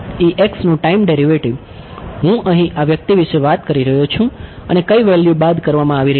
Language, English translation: Gujarati, Time derivative of E x that is I am talking about this guy over here and what are the values being subtracted